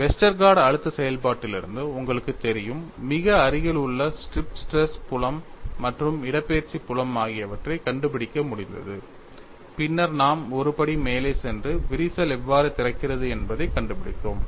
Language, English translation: Tamil, So, it is a very useful information; you know starting from Westergaard stress function, we have been able to find out the very near strip stress field as well as the displacement field, then we moved one step further and found out how the crack opens up